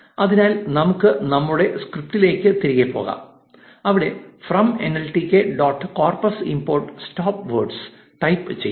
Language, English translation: Malayalam, So, let us go back to our script and say from nltk dot corpus import stop words